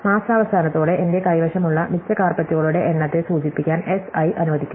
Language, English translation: Malayalam, And let S i stands for the number of surplus carpets that I have in stock at the end of month i